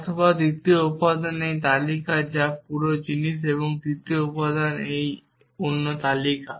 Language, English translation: Bengali, Or the second element is this list which is this whole thing and the third element is this other list